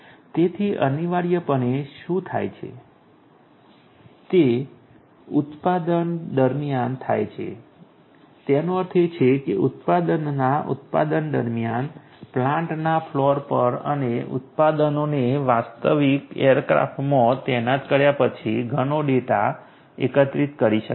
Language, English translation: Gujarati, So, essentially what happens is that you know consequently what happens during the production; that means, during manufacturing productions so on in the floor of the plants and also after the products are deployed in a real aircraft lot of data can be collected